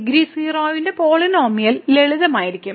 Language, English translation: Malayalam, So, the polynomial of degree 0 will be simply 1